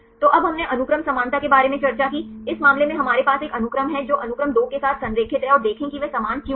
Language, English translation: Hindi, So, now we discussed about the sequence similarity, in this case we have a sequence align the sequence one which is aligned with sequence two and see why are they are similar